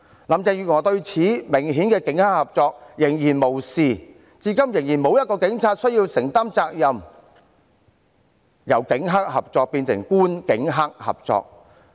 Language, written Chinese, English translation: Cantonese, 林鄭月娥對如此明顯的警黑合作仍然視若無睹，至今仍然沒有一名警員須承擔責任，由警黑合作變成官警黑合作。, Carrie LAM has turned a blind eye to this obvious cooperation between the Police and gangsters thus no police officer has been held accountable thus far . The cooperation between the Police and gangsters has turned into cooperation among the Government the Police and gangsters